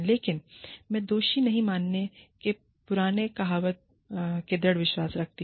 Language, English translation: Hindi, But, i am a firm believer, in the old adage of not guilty, unless proved otherwise